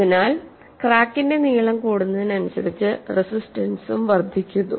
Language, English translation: Malayalam, So, as the crack length increases, the resistance also increases